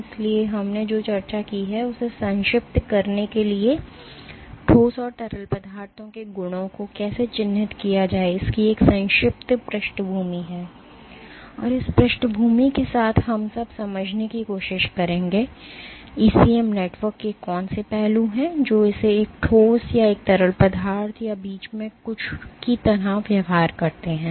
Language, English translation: Hindi, So, to recap what we have discussed is just a brief background of how to characterize properties of solids and fluids, and with that background we will now try to understand; what are the aspects of a ECM network, which makes it behave like a solid or a fluid or something in between